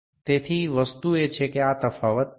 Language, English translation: Gujarati, So, the thing is that this difference 0